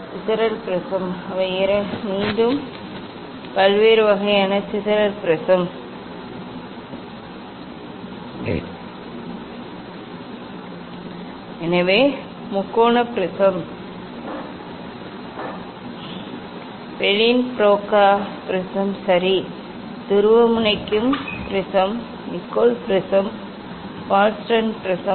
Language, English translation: Tamil, dispersive prism they again different kinds of dispersive prism, so triangular prism, Pellin Broca prism ok, Polarizing prism, Nicol prism, Wallaston prism